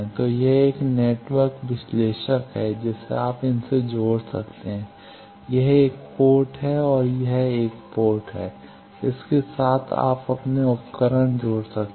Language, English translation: Hindi, So, this is a network analyzer you can connect with these; this is 1 port, this is another port, with this you connect your devices